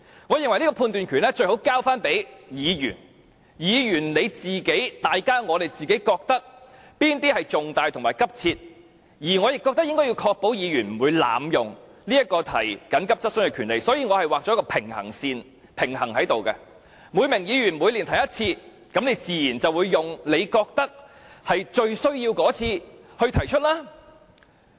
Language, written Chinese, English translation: Cantonese, 我認為這個判斷權最好交給議員，由議員自行決定哪些質詢屬於與公眾有重大關係及性質急切，而我亦覺得應該要確保議員不會濫用提出急切質詢的權利，故此我劃設一條平衡線，每名議員每年只可提出一次，議員自然會用他認為最有需要的一次來提出。, In my view this power of judgment should be vested in Members who will decide whether a question relates to a matter of public importance and is of an urgent character . I also think we have to ensure that Members will not abuse their power of asking urgent questions and hence I set a line of balance by which each Member can only ask one urgent question per year . Naturally a Member will raise his urgent question only when he finds it really necessary to do so